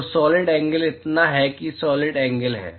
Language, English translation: Hindi, So, the solid angle is so that is the solid angle